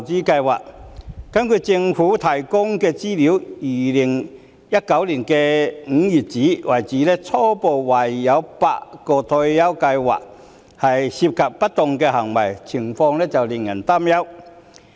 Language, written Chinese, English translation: Cantonese, 根據政府提供的資料，截至2019年5月，初步懷疑有8項退休計劃涉及不當行為，情況令人擔憂。, According to the information provided by the Government as of May 2019 it was preliminarily suspected that eight OR Schemes might have been misused . The situation is worrying